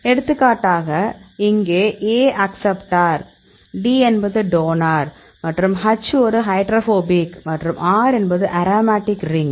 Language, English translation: Tamil, For example, here A is the acceptor, D is the donor and H is a hydrophobic and R is the aromatic ring